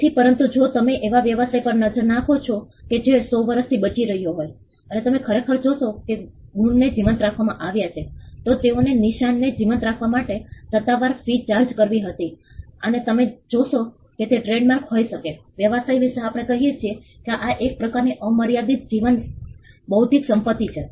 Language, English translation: Gujarati, So, but if you look at a business that is survived for 100 years and you would actually see that the marks are being kept alive, they paid the charges official fees for keeping the marks alive and you will find that it can be the trademarks in business parlance we say these are kind of unlimited life intellectual property